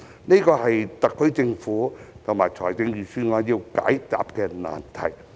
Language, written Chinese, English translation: Cantonese, 這是特區政府和預算案要解答的難題。, This is a difficult question which the SAR Government and the Budget have to answer